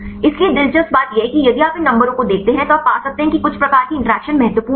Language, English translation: Hindi, So, interestingly if you see these numbers you can find some sort of interactions are important